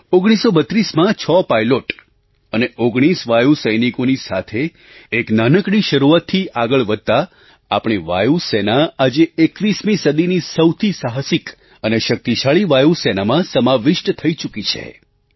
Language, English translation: Gujarati, Making a humble beginning in 1932 with six pilots and 19 Airmen, our Air Force has emerged as one of mightiest and the bravest Air Force of the 21st century today